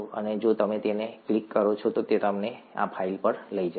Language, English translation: Gujarati, And if you click that, it will take you to this file